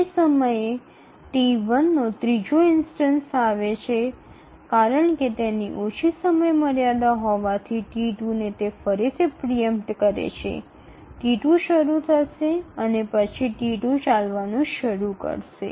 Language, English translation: Gujarati, At the time instance 6, the third instance of T1 arrives and because it has a shorter deadline then the T2 it again preempts T2, T1 starts running and then T2 starts running